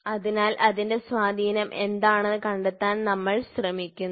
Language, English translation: Malayalam, So, that is why we are trying to find out what is the influence